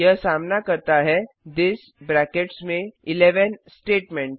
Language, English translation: Hindi, It encounters the this within brackets 11 statement